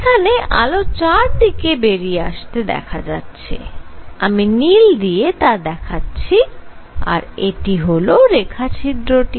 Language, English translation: Bengali, So, this light is coming out in all directions here let me make it with blue in all directions here and here is a slit